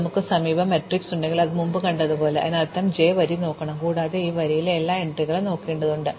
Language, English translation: Malayalam, As we saw before if we have an adjacency matrix; that means, we have to look at the row j, and we have to look at every entry in this row